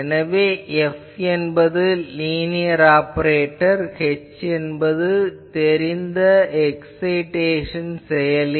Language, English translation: Tamil, So, F is a linear operator it is a known linear operator, h is a known excitation function